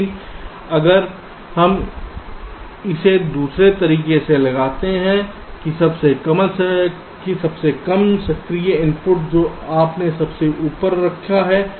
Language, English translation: Hindi, but if we put it the other way round, the least active input you put at the top